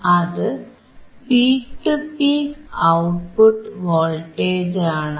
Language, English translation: Malayalam, The peak to peak voltage is almost 4